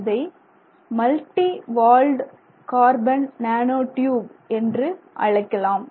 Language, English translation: Tamil, So, you have multi walt carbon nanotubes